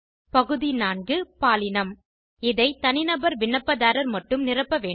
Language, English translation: Tamil, Item 4, the Gender field, should be filled only by Individual applicants